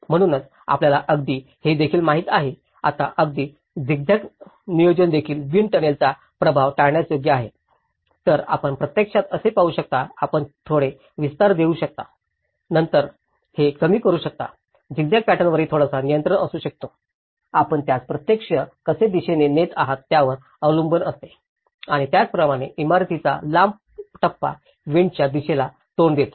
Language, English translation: Marathi, So, that is where you can even you know, now even the zigzag planning avoid wind tunnel effect right, so how actually, you can actually see about, how you can actually, give a little bit of vastness and then reduce it so, the zigzag pattern as well can have some control, it depends on how you are actually orienting it and similarly, the long phase of the building facing the wind direction